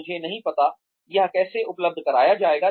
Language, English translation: Hindi, I do not know, how this will be made available